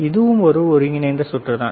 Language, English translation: Tamil, This is the integrated circuit, right